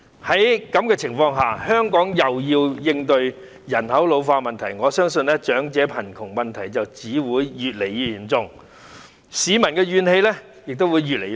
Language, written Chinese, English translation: Cantonese, 在這種情況下，香港尚要應對人口老化問題，我因而相信長者貧窮問題只會越來越嚴重，市民的怨氣亦會越來越大。, Under such circumstances Hong Kong still has to cope with the problem of ageing population . I am thus convinced that the problem of elderly poverty will become increasingly serious and public grievances will also be exacerbated